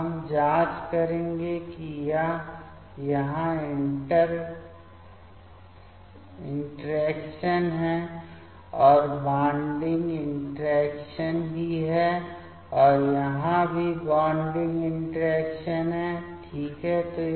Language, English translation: Hindi, Now, we will check it is interaction here also bonding interaction and here also bonding interactions ok